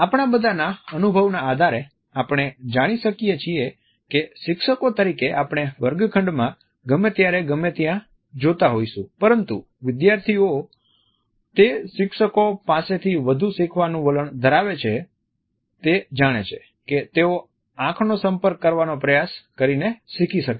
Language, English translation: Gujarati, All of us know on the basis of our experience that as teachers we might be looking at anywhere in the classroom at anytime, but students tend to learn more from those teachers who they think are trying to maintained an eye contact with them